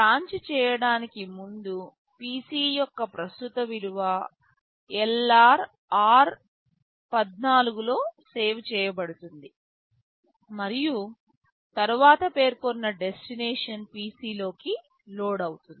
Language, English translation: Telugu, Before branching, the current value of the PC will be saved into LR and then the destination which is specified will be loaded into PC